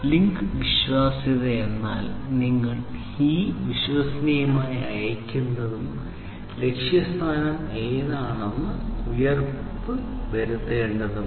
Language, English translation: Malayalam, So, that link reliability means that you have to ensure that whatever you are sending reliably which is the destination